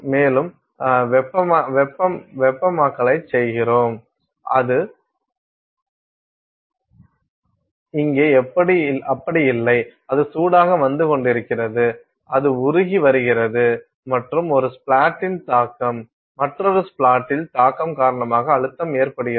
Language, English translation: Tamil, And, then you do the heating, it is not like that here, it is arriving hot, it is arriving molten and the pressure is happening because of the impact, impact of one splat on another splat